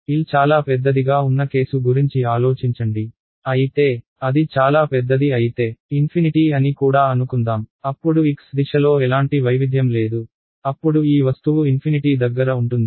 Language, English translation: Telugu, Think of the case where L is very large; however, let us say even infinite if it is very large, then there is no variation along the x direction, it is like the object is infinite